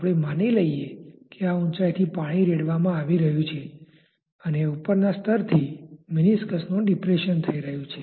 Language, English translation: Gujarati, Let us say that the water is being poured from this height and there has been a so called depression of the meniscus from the top level